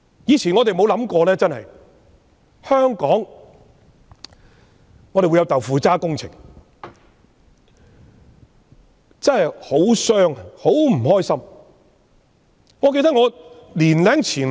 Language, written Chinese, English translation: Cantonese, 以前我們從沒想過香港會有"豆腐渣"工程；實情真的令人傷心。, We have never thought of having jerry - built works in Hong Kong; the reality is really worrying